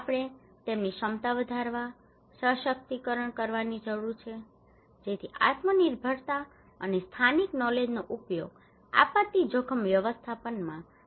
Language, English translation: Gujarati, We need to enhance, empower their capacity so self reliance and using a local knowledge are critical component in disaster risk management